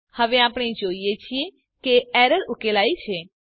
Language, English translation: Gujarati, Now we see that the error is resolved